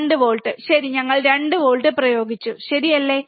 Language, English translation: Malayalam, 2 volts, alright so, we applied 2 volts, alright